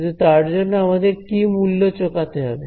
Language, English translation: Bengali, So, this is, but what have we have to pay as a price